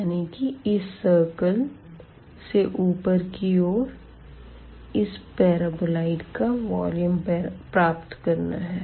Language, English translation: Hindi, So, above this unit circle, we want to get the volume of this paraboloid